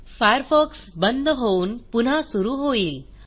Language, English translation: Marathi, Mozilla Firefox will shut down and restart